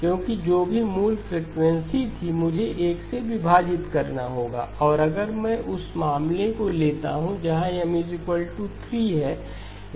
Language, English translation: Hindi, Because whatever was the original frequency I have to divide by 1, and if I take the case where M equal to 3